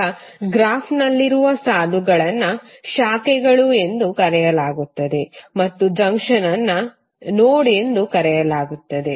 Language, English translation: Kannada, Now lines in the graph are called branches and junction will be called as node